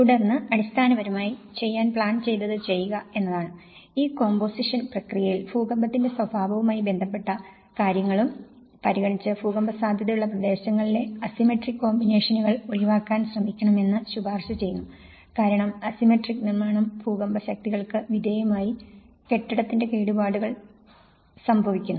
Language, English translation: Malayalam, And then we compose basically, what we try to do is we compose and in this composition process what in terms of the earthquake nature is concerned so, they are recommending that try to avoid the asymmetrical compositions in an earthquake prone areas and because these asymmetric buildings undergo torsion and extreme corners are subject to very large earthquake forces